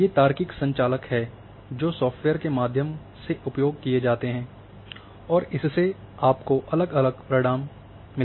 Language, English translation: Hindi, These are the logical operators which are used through software’s and you get different results